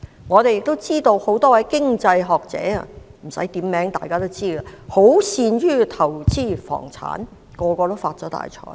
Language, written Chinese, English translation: Cantonese, 我們也知道，很多位經濟學者——不用點名，大家也知道——均擅於投資房產，全部已發了大財。, We also know that many economists―I do not have to name names as we all know who they are―have the expertise in property investments and all of them have made a good fortune